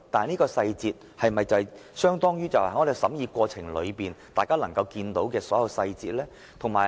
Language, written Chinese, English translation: Cantonese, 不過，這些細節是否與大家在審議過程中看到的細節相同呢？, Yet are these details the same as those we will see in the course of scrutiny of the Bill?